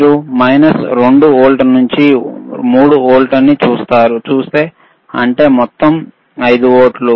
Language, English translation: Telugu, iIf you see minus 2 volt to 3 volts; that means, total is 5 volts